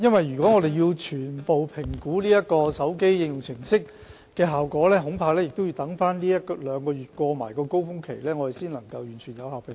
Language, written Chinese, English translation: Cantonese, 如果要全面評估該手機應用程式的效果，我恐怕要待這一兩個月的高峰期過後，才可有效地作出評估。, Regarding the comprehensive review of the effectiveness of the mobile application I am afraid we have to wait for a month or two when the influenza surge has passed before we can make an effective assessment